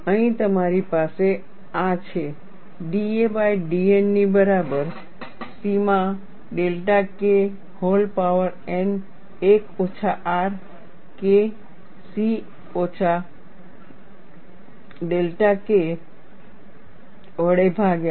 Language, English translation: Gujarati, Here you have this as d a by d N equal to C into delta K whole power n divided by 1 minus R K c minus delta K